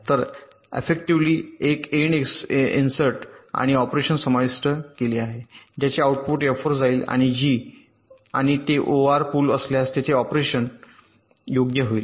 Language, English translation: Marathi, so affectivly, there is an and insert and operation inserted, the output of which is going to f and g, and if it is or bridging, there will a or operation